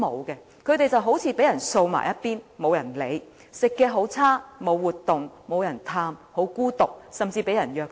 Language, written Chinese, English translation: Cantonese, 長者便好像被人掃往一旁般，沒人理會，飲食惡劣，沒有活動，沒有人探望，十分孤獨，甚至被人虐待。, Nobody cares about the elderly thus they are swept aside as if they are trash . They are poorly fed . They attend no activities